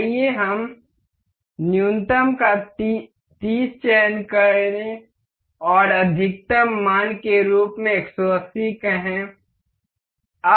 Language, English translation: Hindi, Let us just select 30 to be minimum and say 180 as maximum value